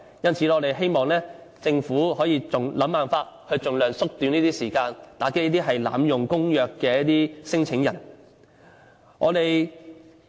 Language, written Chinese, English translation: Cantonese, 因此，我們希望政府想辦法盡量縮短這方面的時間，打擊這些濫用公約的聲請人。, Therefore we hope the Government will try every possible means to shorten the time in this respect and curb the abusive claimants